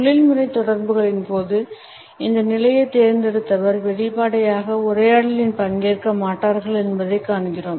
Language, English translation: Tamil, During professional interactions, we find that people who have opted for this position do not openly participate in the dialogue